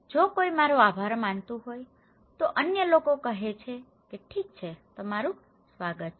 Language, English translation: Gujarati, If someone is telling me thank you, other people are saying that okay you were welcome